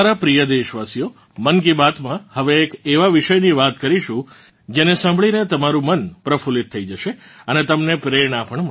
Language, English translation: Gujarati, My dear countrymen, in 'Mann Ki Baat', let's now talk about a topic that will delight your mind and inspire you as well